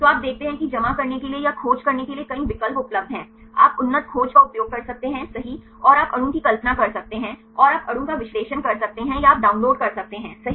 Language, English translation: Hindi, So, you see here there are several options available to deposit or to search you can use advanced search right and you can visualize the molecule and you can analyze the molecule or you can download right